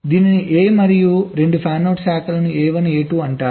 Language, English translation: Telugu, this is a and the two fanout branches are called a one, a two